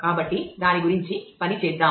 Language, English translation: Telugu, So, let us work through that